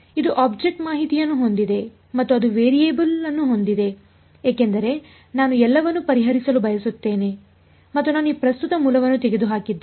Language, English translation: Kannada, It has the object information and it has the variable that I want to find out that I want to solve for it has everything and I have eliminated this current source